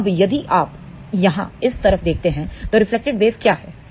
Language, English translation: Hindi, So, if you are looking from this side, what is reflected wave